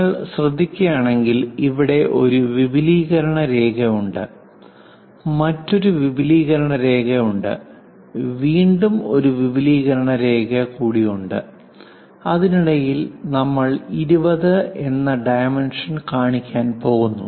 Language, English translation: Malayalam, If you are noticing here extension line here there is one more extension line there is one more extension line; in between that we are going to show dimension 20